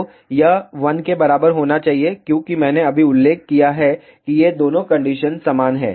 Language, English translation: Hindi, So, this should be equal to 1 as I just mentioned these two conditions are same